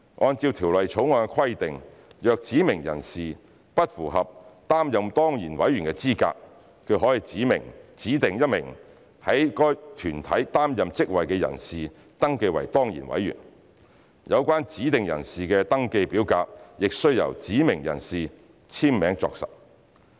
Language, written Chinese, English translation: Cantonese, 按照《條例草案》規定，若指明人士不符合擔任當然委員的資格，他可指定1名在該團體擔任職位的人士登記為當然委員，有關指定人士的登記表格亦須由指明人士簽名作實。, According to the Bill if a specified person is not eligible to serve as an ex - officio member he may designate another person who is holding an office in a relevant body to be registered as an ex - officio member and the registration form of the designated person must also be signed by the specified person